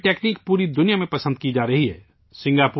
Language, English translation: Urdu, Now this technique is being appreciated all over the world